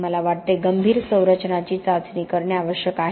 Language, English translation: Marathi, I think critical structures need to be tested